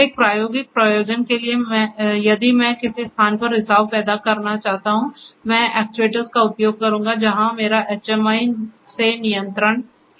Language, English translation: Hindi, Sir, for an experimental purpose if I want to create a leakage at a location I will be using the actuators where I have control from the HMI